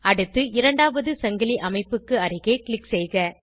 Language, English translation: Tamil, Next, click near the second chain position